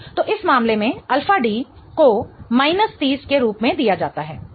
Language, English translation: Hindi, So, in this case, alpha D is given as minus 30, okay